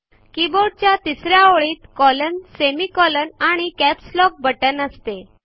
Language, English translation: Marathi, The third line of the keyboard comprises alphabets, colon/semicolon, and capslock key